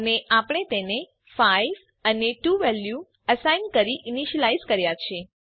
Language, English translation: Gujarati, And we have initialized them by assigning values as 5 and 2